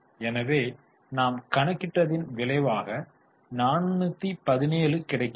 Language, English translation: Tamil, So, we get 417